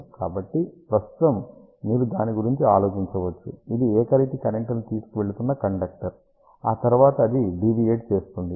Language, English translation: Telugu, So, right now you can just think about it is a uniform current carrying conductor, and then will do the derivation after that we will talk about the practical cases